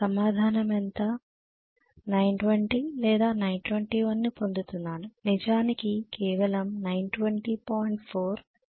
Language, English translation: Telugu, Yes, Answer is how much, 920 I was getting it to be 920 yeah 921 or something I was getting 920 in fact just 920